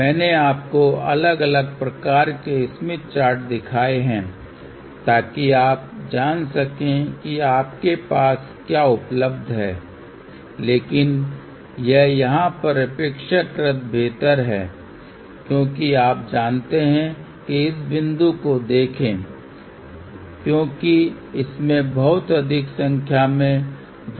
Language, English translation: Hindi, I have shown you different different types of Smith Charts so that you know depending upon what is available to you, but this one here is relatively better to you know look at because locate the points because it has a much larger number of circles